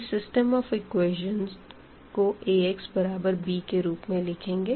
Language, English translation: Hindi, So, if we write down the system of equations into Ax is equal to b form